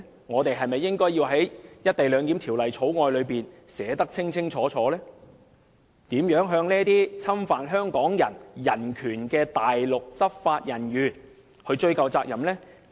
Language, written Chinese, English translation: Cantonese, 我們是否應在《條例草案》中清楚訂明，如何向這些侵犯香港人人權的內地執法人員追究責任呢？, It is necessary for us to explicitly stipulate in the Bill how we can hold Mainland enforcement officers accountable for their violation of human rights of Hong Kong people